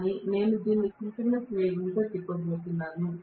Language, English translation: Telugu, But I am going to rotate this at synchronous speed